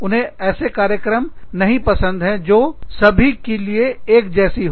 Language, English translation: Hindi, They do not like based programs, that are based on one size, fits all model